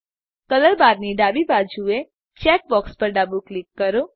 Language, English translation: Gujarati, Left click the checkbox to the left of the color bar